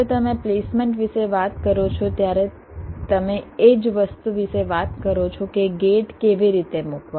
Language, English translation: Gujarati, when you talk about placements, you are talking about the same thing: how to place the gates